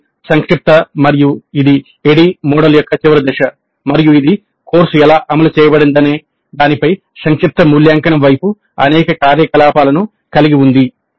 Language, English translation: Telugu, This is summative and this is the final phase of the ID model and this essentially has again several activities towards summative evaluation of how the course has taken place, how the course was implemented